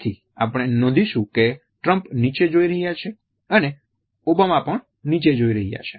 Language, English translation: Gujarati, So, you will notice that Trump is looking down and Obama is looking down